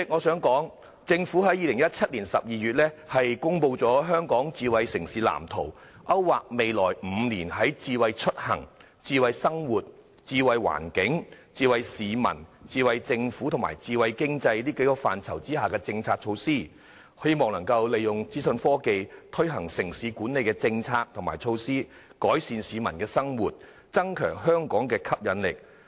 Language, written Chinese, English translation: Cantonese, 主席，政府在2017年12月公布《香港智慧城市藍圖》，勾劃未來5年在智慧出行、智慧生活、智慧環境、智慧市民、智慧政府和智慧經濟6個範疇下推行的政策和措施，希望能夠利用資訊科技推行城市管理政策與措施，改善市民的生活，並增強香港的吸引力。, President the Smart City Blueprint for Hong Kong was released by the Government in December 2017 to map out the policies and measures to be implemented in the next five years in six areas namely smart mobility smart living smart environment smart people smart government and smart economy in the hope of making use of information technology IT to implement city management policies and measures improve peoples livelihood and enhance Hong Kongs attractiveness